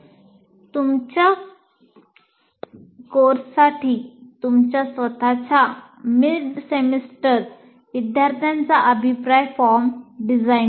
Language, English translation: Marathi, Here, just a simple exercise, design your own mid semester student feedback form for your course